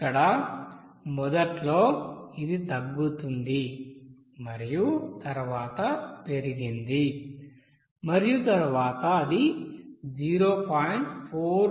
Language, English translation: Telugu, So here initially it is decreased and then increased then it will be seen it will come here at 0